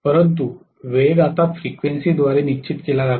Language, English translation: Marathi, But, the speed is decided by the frequency now